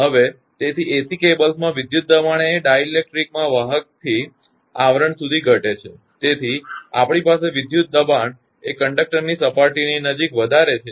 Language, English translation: Gujarati, Now, so in AC cables the electric stress in the electric; in the dielectric decreases from conductor to sheath; that we have near the surface of the conductor that electric stress is higher